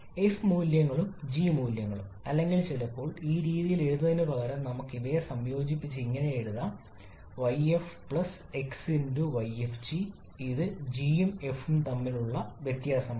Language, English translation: Malayalam, We just need to know that f values and g values or sometimes instead of writing this way we can also combine them to write as yf+x*yfg which is the difference between g and f like this